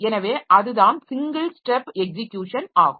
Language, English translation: Tamil, So, you should be able to single step execution